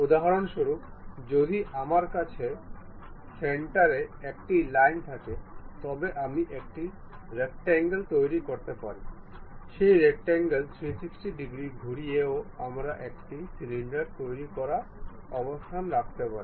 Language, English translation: Bengali, For example, if we have, if I have a centre line, if I can construct a rectangle, rotating that rectangle by 360 degrees also, we will be in a position to construct a cylinder and that is the thing what we will see